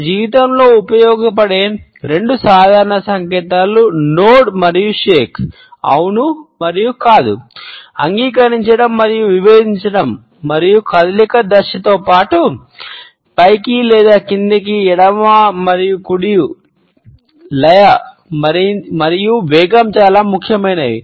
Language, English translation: Telugu, The nod and shake, the probably most common two signs we use in our daily lives are the nod and the head shake; yes and no, agreeing and disagreeing and besides the direction of the motion up and down or left and right rhythm and speed are also very important